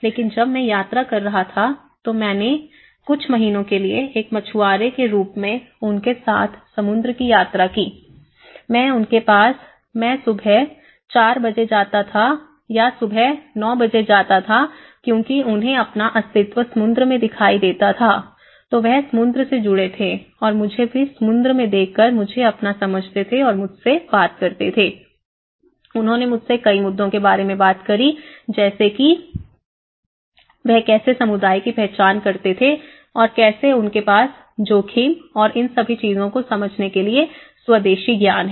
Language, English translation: Hindi, But when I travelled, I used to live as a fisherman for a few months and I used to travel to them, their Sea in the morning nine o clock, morning four o clock and then in the sea they used to open up a lot because they somehow, their belonging goes the essence of belonging is more to the sea and they used to open up many things you know, how they identified the settlement how they have the indigenous knowledge to understand the risk and all these things